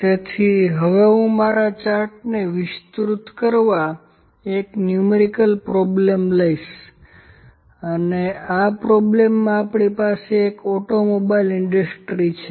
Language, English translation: Gujarati, So, next I will take a numerical problem to elaborate my C chart and in the question we have in an automobile industry